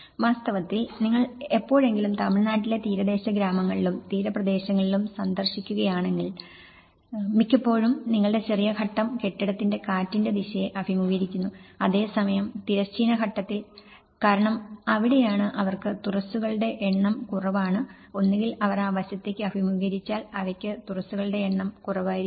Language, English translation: Malayalam, In fact, if you ever visit in the coastal villages of Tamil Nadu and the coastal areas; most of the times your short phase is of the building is facing the wind direction and whereas, in horizontal phase because that is where they have less number of openings and either that, if they are facing that side and they will have less number of openings and otherwise, if they mostly they orient so, the whole building pattern is like you have the seashore and you have these